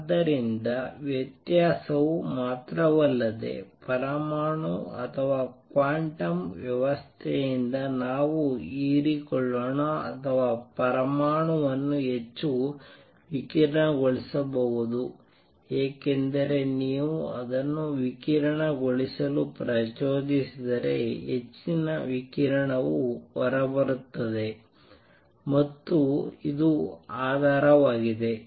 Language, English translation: Kannada, So, not only variation let us absorbed by an atom or a quantum system it can also make an atom radiate more, because if you stimulates it to radiate more radiation would come out and this forms the basis